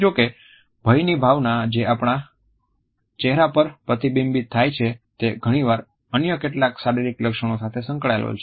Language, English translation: Gujarati, However, the sense of fear which is reflected in our face is often associated with certain other physical symptoms